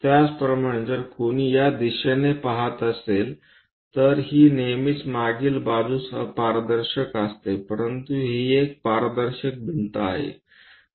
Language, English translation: Marathi, Similarly, if one is looking from this direction, this one always be opaque on the back side, but this one is transparent wall